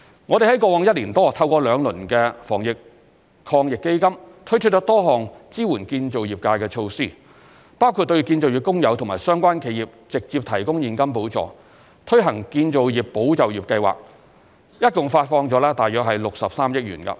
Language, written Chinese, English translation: Cantonese, 我們在過去一年多透過兩輪防疫抗疫基金，推出多項支援建造業界的措施，包括對建造業工友和相關企業直接提供現金補助、推行建造業保就業計劃等，共發放了約63億元。, Over the past year or so we have launched a number of relief measures under the two rounds of the Anti - epidemic Fund to support the construction sector . Such measures include provision of direct subsidies to construction workers and construction - related enterprises introduction of the Employment Support Scheme for the construction sector etc . and a total of 6.3 billion has been disbursed